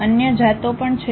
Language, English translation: Gujarati, There are other varieties also